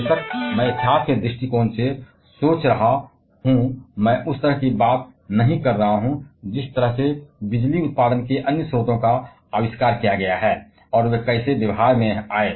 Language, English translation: Hindi, Of course, I am in history point of view I am not talking about the way other sources of power generations are invented, and how they came into practice